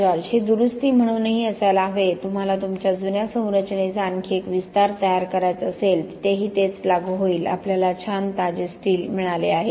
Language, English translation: Marathi, It does even have to be as a repair, you may want to construct another extension to your old structure, the same would apply there we have got nice fresh steel